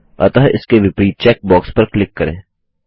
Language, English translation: Hindi, So click on the check box against it